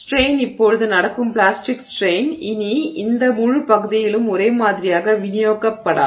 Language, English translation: Tamil, So, the strain is now the plastic strain that is happening is no longer uniformly distributed across this entire region